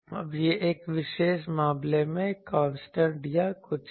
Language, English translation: Hindi, Now, this is a constant in a particular case or anything